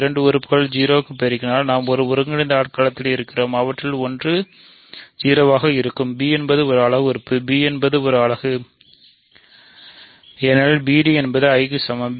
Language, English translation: Tamil, We have in an integral domain if two elements multiplied to 0; one of them must be 0 so; that means, b is a unit right; that means, b is a unit because b d is equal to 1